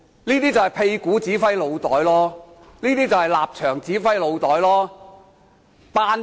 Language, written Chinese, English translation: Cantonese, 這便是"屁股指揮腦袋"，是"立場指揮腦袋"。, This is what we call the butt commanding the brain and the stance commanding the brain